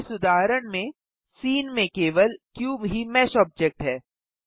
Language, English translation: Hindi, In this case, the cube is the only mesh object in the scene